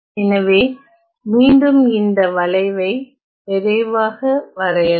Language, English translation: Tamil, So, again let me draw this curve quickly